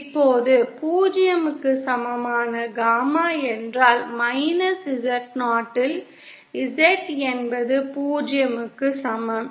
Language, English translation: Tamil, Now gamma in equal to 0 means Z in minus Z 0 equal to 0 implies Z in should be equal to Z 0